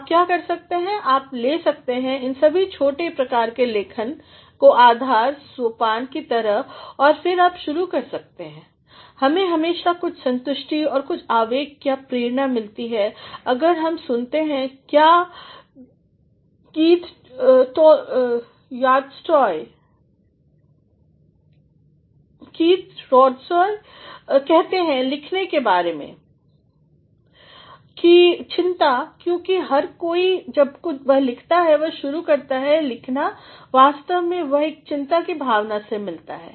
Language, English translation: Hindi, What you can do is you can make all these small forms of writing as your stepping stone and then you can start, we can always get some amount of satisfaction and some amount of impulse or drive if we listen to what Keith Hjortshoj says, anxieties about writing, because everyone when he or she writes and when he or she starts writing actually they come across a feeling of anxiety